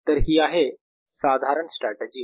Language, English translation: Marathi, so this is a general strategy